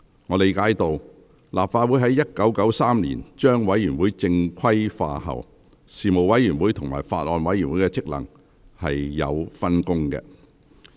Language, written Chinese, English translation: Cantonese, 我理解到，立法局於1993年將委員會正規化後，事務委員會與法案委員會的職能確有分工。, To my understanding following the formalization of committees by the Legislative Council in 1993 there was indeed a delineation of functions between Panels and Bills Committees